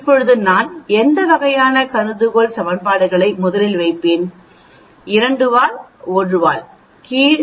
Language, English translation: Tamil, Now what type of hypothesis equations we will put first, the two tailed under a single tailed